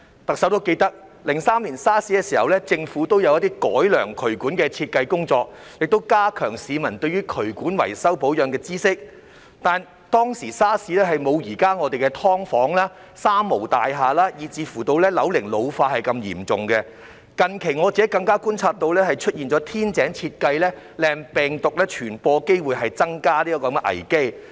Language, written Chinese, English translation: Cantonese, 特首都記得 ，2003 年 SARS 時政府也有一些改良渠管設計的工作，亦加強市民對於渠管維修保養的知識，但 SARS 當時我們的"劏房"、"三無"大廈以至樓齡老化問題沒有現在這麼嚴重，近期我更加觀察到出現天井設計令病毒傳播機會增加的危機。, As the Chief Executive remembers in response to the SARS outbreak in 2003 the Government also made efforts to improve drainage design and raise public awareness on drainage repair and maintenance . That said problems with subdivided units three - nil buildings and ageing buildings in the days of SARS were not as severe as those nowadays . Recently I have even observed that the design of lightwells can increased the risk for virus transmission